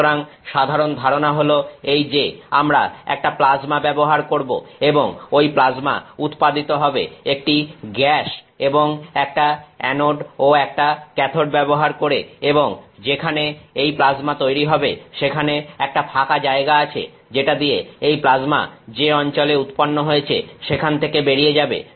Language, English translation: Bengali, So, the general idea is this we are using a plasma and that plasma is generated using a gas and an anode and a cathode and that plasma is created which and there is an opening through which that plasma escapes from that region where it is created